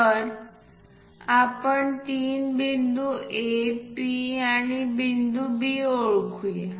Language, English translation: Marathi, So, let us identify three points A, perhaps P and point B